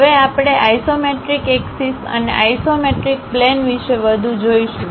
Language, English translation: Gujarati, Now, we will look more about isometric axis and isometric planes